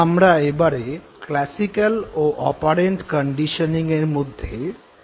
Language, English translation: Bengali, So, we will now try to establish the difference between classical and operant conditioning